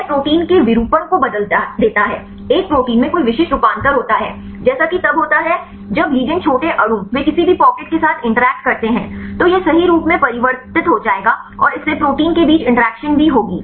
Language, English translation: Hindi, It changes the conformation of the protein, a protein has any specific conformation as it is, then when the ligand small molecule they interact with any pocket right this will change the conformation right and this will also make to have the interaction between the protein as well as the ligand